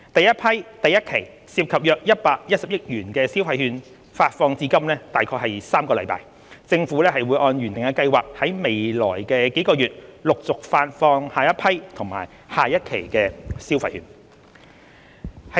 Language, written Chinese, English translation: Cantonese, 首批第一期涉及約110億元的消費券發放至今約3個星期，政府會按原定計劃在未來數個月陸續發放下一批及下一期消費券。, The first consumption voucher under the first batch involving about 11 billion has been disbursed for about three weeks . The Government will successively disburse the next batch and instalment of consumption vouchers in the coming few months in accordance with the original schedule